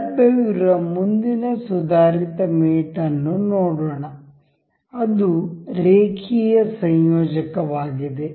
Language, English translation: Kannada, Let us just see the next advanced mate available, that is linear coupler